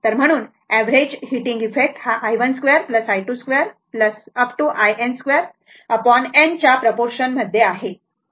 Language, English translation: Marathi, So, therefore, the average heating effect is proportional to i 1 square plus i 2 square up to i n square divided by n right